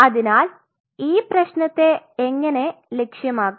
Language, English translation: Malayalam, So, how to target the problem